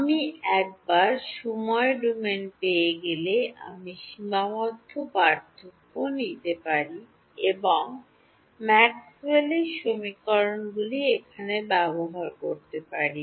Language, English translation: Bengali, Once I get D in the time domain, I can take finite differences and use Maxwell’s equations over here